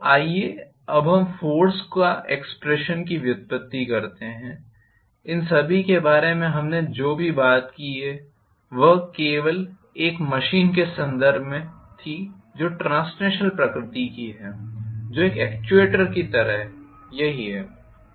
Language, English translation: Hindi, So, let us now having derived the force expression, all these whatever we talked about was with reference to only a machine which is translational in nature which is like an actuator, That is it